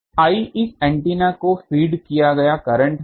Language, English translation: Hindi, I is the current fed to this antenna